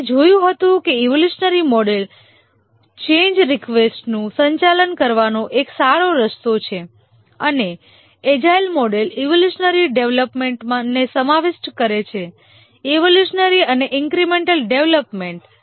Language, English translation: Gujarati, We had seen that the evolutionary model is a good way to handle change requests and the agile models do incorporate evolutionary development, evolutionary and incremental development